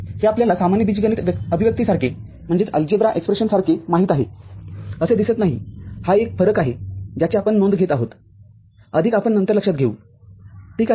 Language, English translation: Marathi, This does not look like you know, that of an ordinary algebra expression this is one difference that we take note of; more we shall take note later ok